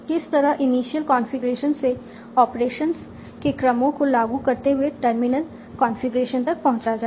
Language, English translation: Hindi, How do I move from an initial configuration by a sequence of operations so that I arrive at a terminal configuration